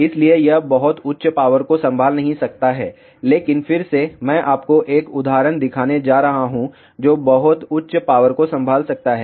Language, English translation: Hindi, So, it cannot handle very high power, but again I am going to show you 1 example which can handle very high power